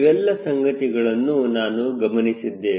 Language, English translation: Kannada, all this things we have seen